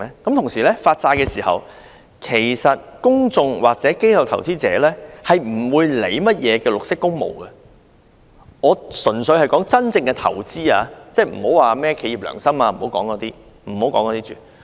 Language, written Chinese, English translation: Cantonese, 同時，在發債的時候，其實公眾或機構投資者不會理會甚麼綠色工務，我所指的純粹是真正的投資者，先不要說甚麼企業良心等。, Meanwhile at the issuance of bonds the public or institutional investors actually do not care about green works or whatsoever . I am referring to pure bona fide investors and let us not talk about corporate conscience for the time being